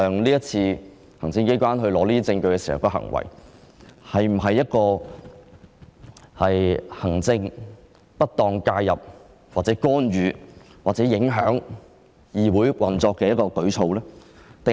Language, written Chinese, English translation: Cantonese, 這次行政機關取得這些證據的行為是否行政上的不當介入、會否干預或影響議會的運作？, Is the obtaining of evidence by the executive authorities this time considered as improper interference? . Will this interfere with or affect the operation of the Council?